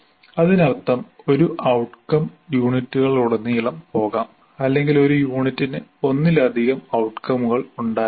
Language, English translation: Malayalam, That means, my outcome may go across the units or one unit may have multiple outcomes and so on